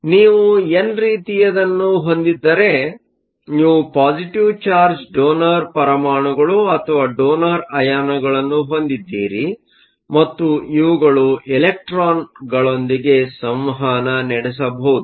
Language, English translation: Kannada, So, if you have an n type, you have donor atoms or donor ions with the positive charge and these can interact with the electrons